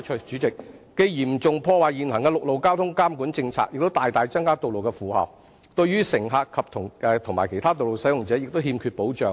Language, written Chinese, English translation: Cantonese, 這樣既嚴重破壞現行的陸路交通監管政策，亦大大增加道路負荷，對於乘客和其他道路使用者更欠缺保障。, this will not only seriously undermine the policy on road traffic management but will also drastically increase the loading of roads thereby undermining the protection for passengers and other road users